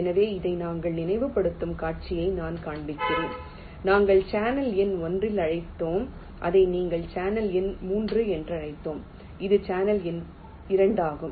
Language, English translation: Tamil, so i am just showing the scenario where you recall this we are, we have called as in channel number one and this we have called as channel number three and this was channel number two